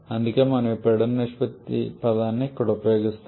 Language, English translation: Telugu, That is why we are using this pressure ratio term here